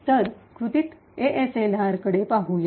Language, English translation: Marathi, So, let us look at ASLR in action